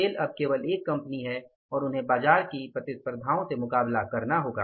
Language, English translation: Hindi, Sale is only one company now and they have to compete with the market competition